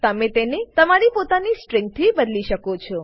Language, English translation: Gujarati, You may replace it with your own string